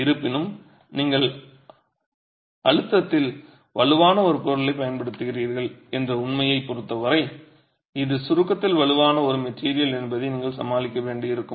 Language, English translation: Tamil, However, given the fact that you are using a material which is strong in compression, you are going to have to deal with the fact that this is a material which is strong in compression